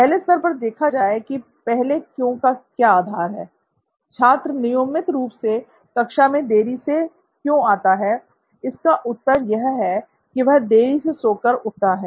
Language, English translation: Hindi, To look at it first at level 1, the basic premise, the first Why, the answer of why does the student come so late to class so regularly is because they woke up late